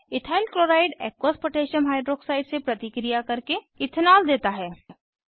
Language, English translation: Hindi, Ethyl chloride reacts with Aqueous Potassium Hydroxide to give Ethanol